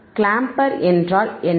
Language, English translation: Tamil, What is clamper